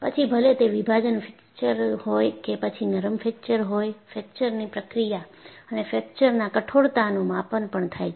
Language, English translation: Gujarati, Whether, it is a cleavage fracture or a ductile fracture, the fracture process and also measurement of fracture toughness